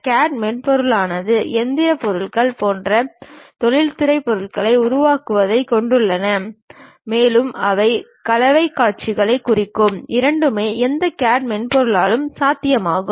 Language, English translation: Tamil, The CAD software consists of one creating industrial objects such as mechanical objects, and also they will represent artistic views, both are possible by any CAD software